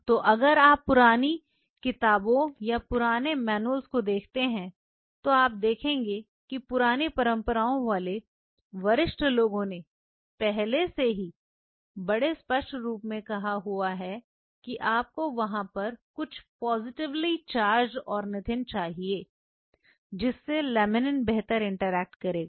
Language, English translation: Hindi, So, if you see the old books, old manuals you will see the older guys from the old school they have already mentioned this very clearly you need it ornithine some positively charged there on which the laminin will interact better